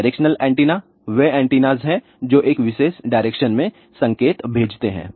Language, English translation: Hindi, Directional antennas are antennas which send signal in a particular direction